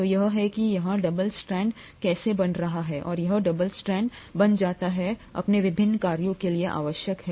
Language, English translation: Hindi, So this is how the double strand is getting formed here and this double strand becomes essential for its various functions